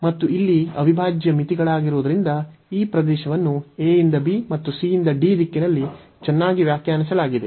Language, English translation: Kannada, And since the integral limits here, because the region was nicely define from a to b and the c to d in the direction of y